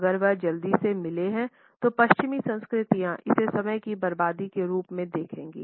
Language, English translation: Hindi, If he has met quickly the western cultures will see it as a waste of time